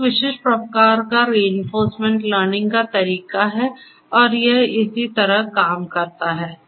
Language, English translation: Hindi, This is a specific type of reinforcement learning and this is how it works